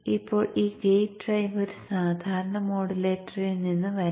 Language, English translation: Malayalam, Now this gate drive can come from a standard modulator